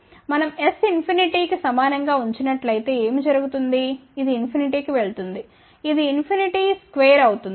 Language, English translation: Telugu, If we put s equal to infinity what will happen this goes to infinity, this will be infinity square